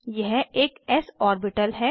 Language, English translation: Hindi, This is an s orbital